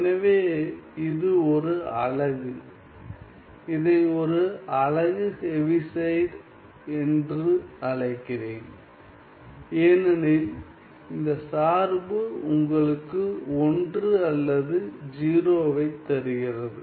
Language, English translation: Tamil, So, this is a unit, let me call it as a unit Heaviside, function because it gives you either 1 or 0 ok